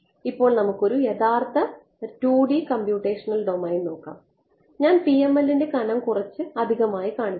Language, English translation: Malayalam, Now let us look at a realistic 2D computational domain, I am exaggerating the PML thickness